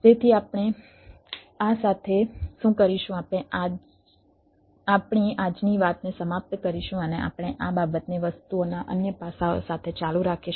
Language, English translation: Gujarati, we will end our todays talk and we will continue with this thing, with the different other aspects of the things